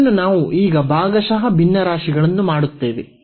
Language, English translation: Kannada, And, then again we will do this partial fractions there